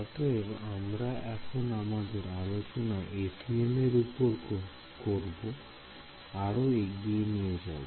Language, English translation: Bengali, So we will continue our discussion of the FEM